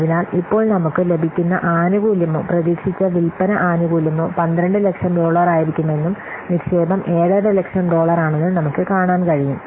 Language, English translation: Malayalam, So now we can see that the benefit that we will get is or the expected sales, the benefit is coming to be $12,000 whereas the investment is $7,000 dollar